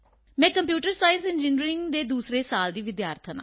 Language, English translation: Punjabi, I am a second year student of Computer Science Engineering